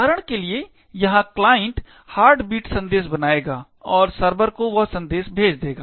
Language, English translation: Hindi, Over here for example the client would create the Heartbeat message and send that message to the server